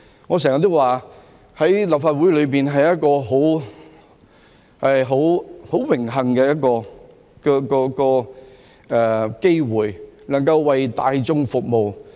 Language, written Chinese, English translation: Cantonese, 我經常說，能夠參與立法會是一個很榮幸的機會，能夠為大眾服務。, I always say that it is a great honour to be able to participate in the Legislative Council and serve the public